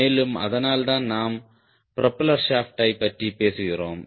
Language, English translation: Tamil, and that is what we are talking about: propeller shaft